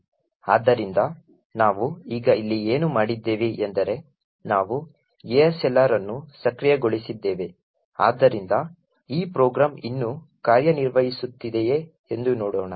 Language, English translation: Kannada, So, what we have done here now is we have enabled ASLR, so with this enabling let us see if the program still works